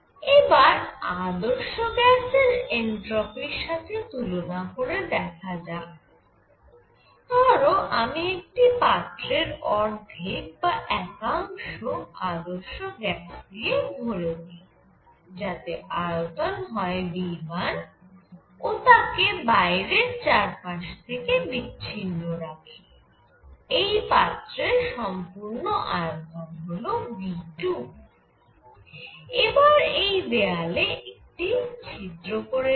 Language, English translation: Bengali, Now, let us compare this with an ideal gas change of entropy, if I take an ideal gas fill 1 half or 1 portion of a container which is isolated from surroundings right of V 1 and this whole volume is V 2 and puncture this wall